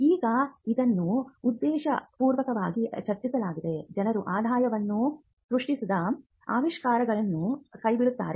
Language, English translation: Kannada, Now, this is deliberately structured in such a way that people would abandon inventions that are not generating revenue